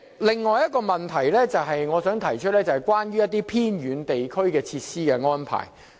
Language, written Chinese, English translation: Cantonese, 另一個問題，是關於偏遠地區的設施安排。, Another problem concerns the provision of facilities in remote areas